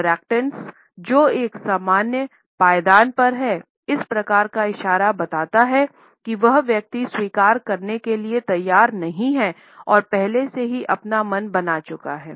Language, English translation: Hindi, Even in those interactants who are on an equal footing, this type of gesture indicates that the person is not willing to concede and has already made up his or her mind